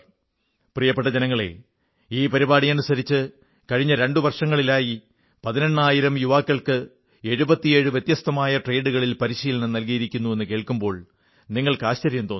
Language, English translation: Malayalam, My dear countrymen, it would gladden you that under the aegis of this programme, during the last two years, eighteen thousand youths, have been trained in seventy seven different trades